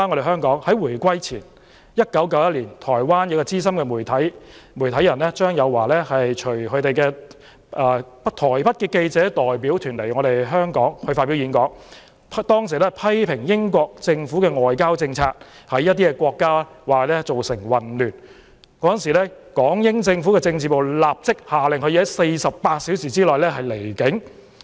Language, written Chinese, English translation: Cantonese, 香港回歸前的1991年，台灣資深媒體人張友驊隨台北記者代表團來香港發表演講，批評英國政府的外交政策在一些國家造成混亂，港英政府政治部立即限令他在48小時內離境。, In 1991 when Hong Kong had yet to return to the Motherland Taiwanese media veteran CHANG Yu - hua came to Hong Kong with a Taipei journalist delegation and made a speech criticizing the foreign policy of the British Government for causing chaos in certain countries . The Special Branch of the British Hong Kong Government immediately ordered him to leave the territory within 48 hours